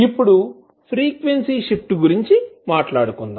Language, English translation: Telugu, Now let’ us talk about the frequency shift